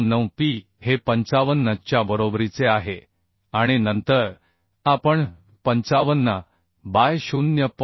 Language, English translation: Marathi, 599P is equal to 55 we can equate and then we can find out P as 55 by 0